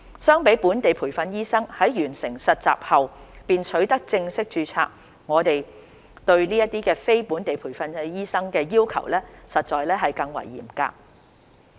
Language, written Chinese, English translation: Cantonese, 相比本地培訓醫生在完成實習後便取得正式註冊，我們對這些非本地培訓醫生的要求實在更為嚴格。, As compared with the requirements applicable to locally trained doctors who can obtain full registration after completing the internship those we propose for NLTDs are indeed more stringent